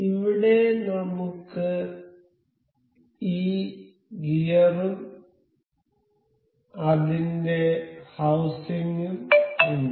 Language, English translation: Malayalam, Here we have we have this gear and there it its housing